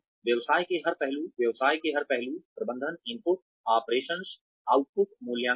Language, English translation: Hindi, Every aspect of the business, managing every aspect of the business, input, operation, output, evaluation